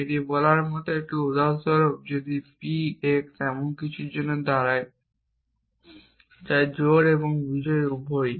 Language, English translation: Bengali, So, again if you look at this; this is like saying that for example, if p x stood for something which is both even and odd